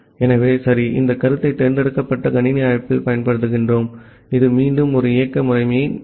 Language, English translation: Tamil, So ok for that we use this concept at the select system call, which is again an operating system level system call